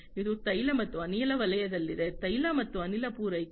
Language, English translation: Kannada, It is in the oil and gas sector, supply of oil and gas